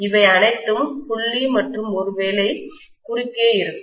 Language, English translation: Tamil, These are all dot and maybe these are all cross for example